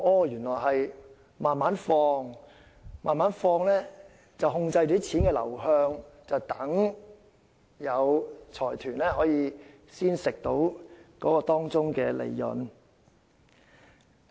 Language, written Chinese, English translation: Cantonese, 原來是要慢慢投放，這樣便可控制錢的流向，讓財團得以從中獲利。, It turns out that it wants to inject it slowly . In this way it can control the money flow and benefit the consortiums